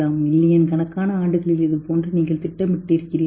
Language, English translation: Tamil, Have we planned over millions of years and become like this